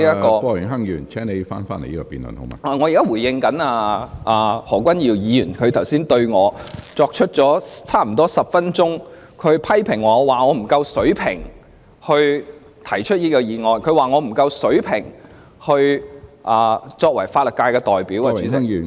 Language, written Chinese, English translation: Cantonese, 我現時是在回應何君堯議員剛才對我作出接近10分鐘的批評，他說我不夠水平提出這項議案，又說我不夠水平擔任法律界代表。, I am responding to the some 10 minutes of criticism against me by Dr Junius HO . He just now said that I was not qualified to either propose this motion or represent the legal sector